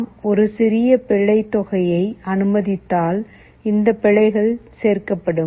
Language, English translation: Tamil, If we allow for a small amount of error, this errors will go on adding